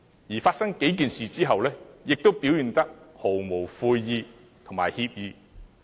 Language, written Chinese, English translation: Cantonese, 在這數件事發生後，他仍表現得毫無悔意和歉意。, After these incidents he still shows no signs of remorse and offers no apology